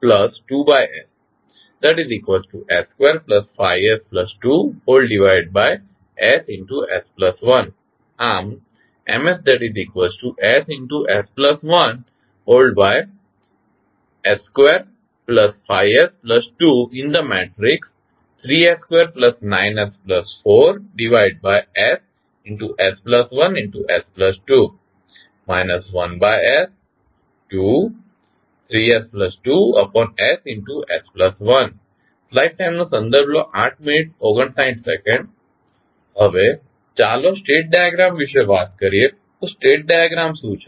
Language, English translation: Gujarati, Now, let us talk about the state diagram so what is the state diagram